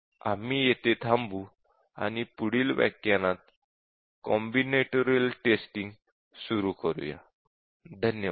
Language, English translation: Marathi, And we will stop here and we will continue with combinatorial testing